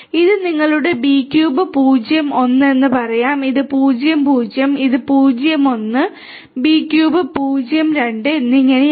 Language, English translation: Malayalam, This will be let us say your B cube 0 1, this we let us say that this is 0 0, this is 0 1 B cube 0 2 and so on